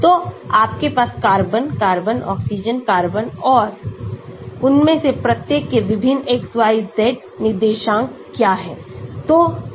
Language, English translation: Hindi, so you have carbon, carbon, oxygen, carbon and what are the various XYZ coordinates of each one of them